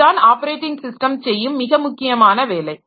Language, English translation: Tamil, So, this is the most important job that the operating system does